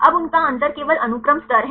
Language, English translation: Hindi, Now, their difference is only the sequence level